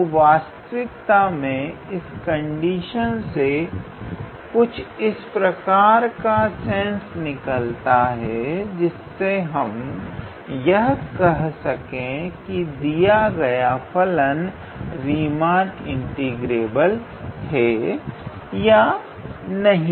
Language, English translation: Hindi, So, in a way this condition actually makes sense and based on which we can say that the given function is Riemann integrable or not